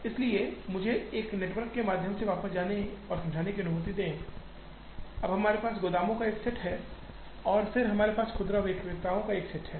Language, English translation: Hindi, So, let me go back and explain this through this network, now here we have a set of warehouses and then we have a set of retailers